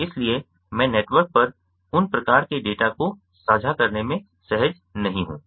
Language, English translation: Hindi, so i am not comfortable with sharing those kind of data over the network